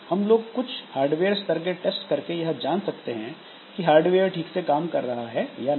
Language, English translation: Hindi, The hardware layer, so we can have some hardware level tests that can verify that the hardware is working correctly